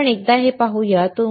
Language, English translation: Marathi, So, let us see this one